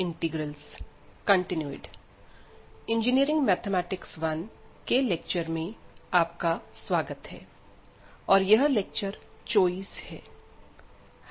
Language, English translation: Hindi, So, welcome to the lectures on Engineering Mathematics 1, and this is lecture number 24